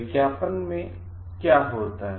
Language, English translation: Hindi, In advertising what happens